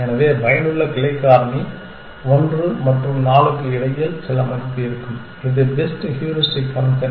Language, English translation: Tamil, So, the effective branching factor will be some value between 1 and 4, the better the heuristic function